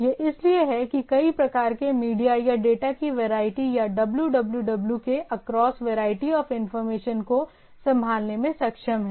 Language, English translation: Hindi, So it that is why it is able to handle a variety of say media or the variety of data or the variety of information across the across the www